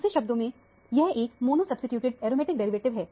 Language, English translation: Hindi, In other words, this is a mono substituted aromatic derivative